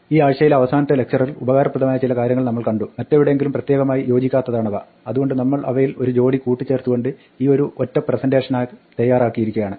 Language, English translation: Malayalam, For the last lecture this week we look at some useful things which will crop up and which do not fit anywhere else specific so we just combined a couple of them into this one single presentation